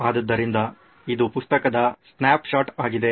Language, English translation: Kannada, So this is a snapshot from the book